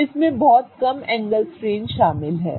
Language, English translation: Hindi, So, there is very little angle strain involved